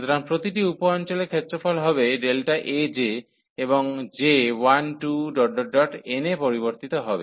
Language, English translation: Bengali, So, the each the sub region will have area delta A j and j varies from 1, 2, n